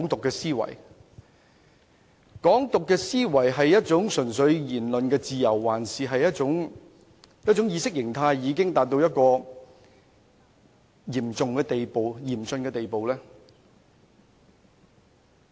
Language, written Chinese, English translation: Cantonese, 這種"港獨"思維究竟純粹只是言論自由，還是一種意識形態已達到嚴峻程度的問題呢？, Is such expressions the advocacy of Hong Kong independence solely a matter of freedom of speech or it is an ideology problem that has reached a critical stage?